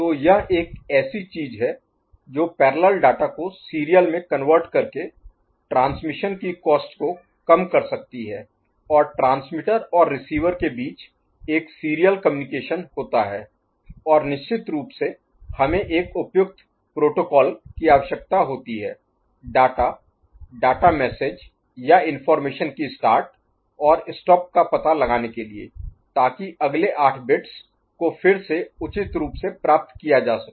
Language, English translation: Hindi, So, this is one thing that can reduce the cost of transmission by converting parallel data to serial and having a serial communication between transmitter and receiver and of course, we need to have an appropriate protocol to find out start of the data, message or the information and the stop of it, so that next 8 bits again appropriately be picked up, ok